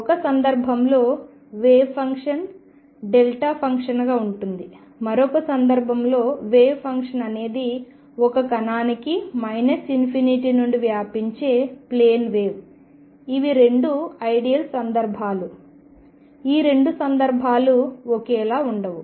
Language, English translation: Telugu, These are 2 ideal cases, in one case the wave function is a delta function in the other case wave function is a plane wave spreading from minus infinity in a for a particle these are 2 ideal cases 2 extreme cases which are not same